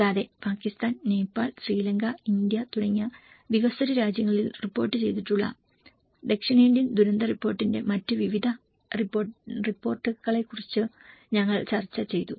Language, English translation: Malayalam, Also, we did discussed about various other reports of South Asian disaster report, where it has covered in kind of developing countries like Pakistan, Nepal, Sri Lanka and India